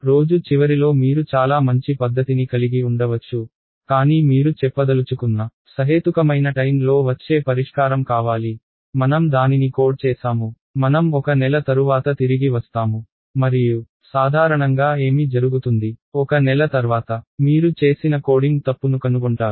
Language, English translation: Telugu, At the end of the day you may have a very good method, but you want a solution that comes to within reasonable time you do not want to say, I have coded it I have, I will come back after one month and usually what happens after 1 month is you discover the coding mistake